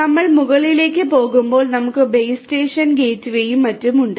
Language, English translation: Malayalam, And as we go higher up we have the base station the gateway and so on